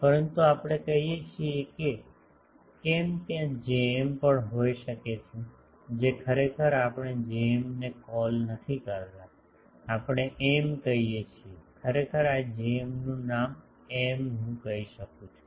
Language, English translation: Gujarati, But we say that why there can be also the J m which actually we do not call J m we call M actually this Jm is given the name M